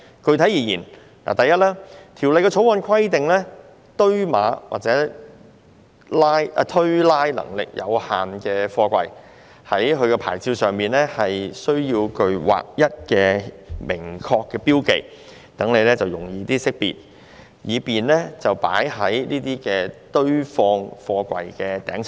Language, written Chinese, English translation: Cantonese, 具體而言，第一，《條例草案》規定堆碼或推拉能力有限的貨櫃，其牌照上須具劃一的顯眼標記，使其容易識別，以便置放在堆放貨櫃的頂層。, Specifically the first point is that the Bill requires the safety approval plates SAPs of containers with limited stacking or racking capacity to be conspicuously marked in a standardized manner so that these containers can be easily identified and arranged at the top of a container stack